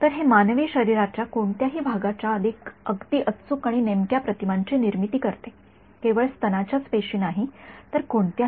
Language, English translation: Marathi, So, it produces very accurate and sort of precise images of any part of the human body, not just breast issue but any right